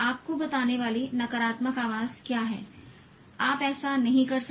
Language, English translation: Hindi, What is the negative voice telling you that you can't do it